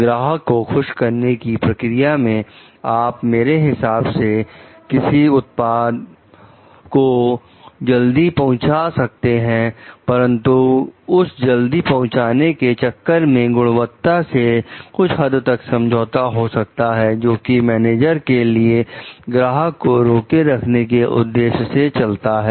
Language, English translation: Hindi, So, in order to please the customer I mean promise a quick delivery of the product, but in like doing that quick delivery maybe I compromise the quality also to some extent which is maybe ok for the managers in order to retain back the customer